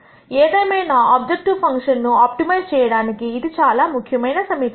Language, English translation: Telugu, Nonetheless this is the critical equation which is used to optimize an objective function